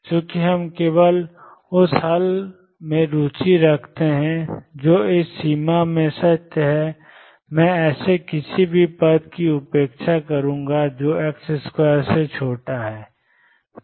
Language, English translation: Hindi, Since we are only interested in the solution which is true in this limit, I am going to ignore any terms that are smaller than x square